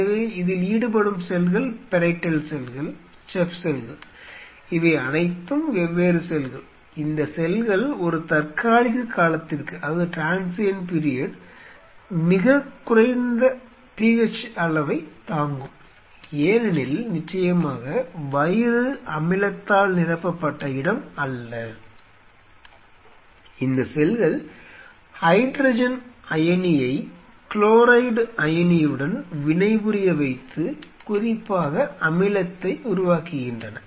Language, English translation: Tamil, So, the cells which are involved in this is parietal cells chief cells, all these different cells; these cells can withstand at will a very low PH for a transient period of time because of course, in the stomach it is not that it is a place which is filled with acid these cells are specifically produces the acid by reacting the hydrogen iron and the chloride iron